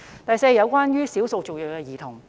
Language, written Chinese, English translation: Cantonese, 第四類是少數族裔兒童。, The fourth category is children of ethnic minorities